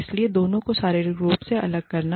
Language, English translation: Hindi, So, physically separating the two